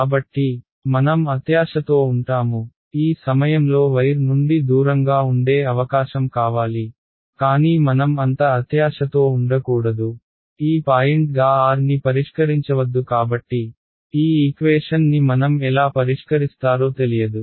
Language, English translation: Telugu, So, I will not be greedy I actually want the potential at this point over here away from the wire, but let us not be so greedy; let us not fix r to be this point because then, I do not know how will I solve this equation